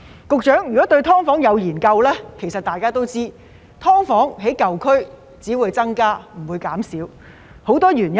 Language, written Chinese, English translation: Cantonese, 局長，如果對"劏房"有研究，其實大家都知道，"劏房"在舊區只會增加而不會減少，其中有很多原因。, Secretary if one is well informed about SDUs―in fact we all know that the number of SDUs will only increase rather than decrease in the old districts; and there are many reasons for it